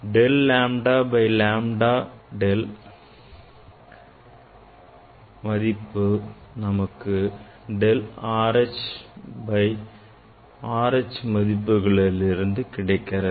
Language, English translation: Tamil, del lambda by lambda del lambda by lambda from where here you are getting that is that is nothing but the del R H by R H